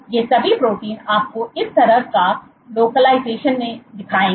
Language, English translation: Hindi, All these proteins will show you this kind of localization